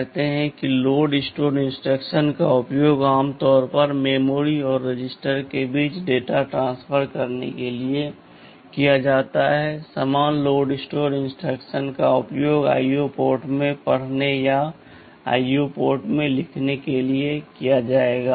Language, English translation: Hindi, Say load store instructions are typically used to transfer data between memory and register, the same load store instructions will be used for reading from IO port or writing into IO ports